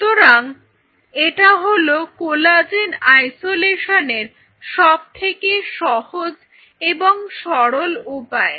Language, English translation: Bengali, So, this is one of the easiest and simplest way how you can obtain collagen